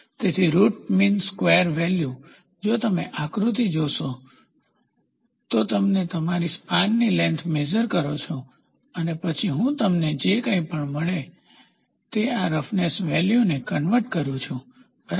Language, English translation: Gujarati, So, root mean square value, if you see the figure you have a length of span for which you take the measurement and then I am just converting this roughness value whatever you get, ok